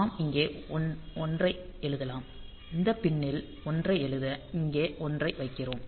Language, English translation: Tamil, So, we can just we can write a 1 here; so, to write a 1 to this pin; so we put a 1 here